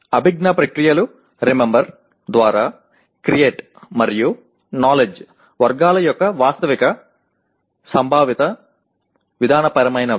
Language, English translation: Telugu, The cognitive processes are Remember through Create and knowledge categories of Factual, Conceptual, Procedural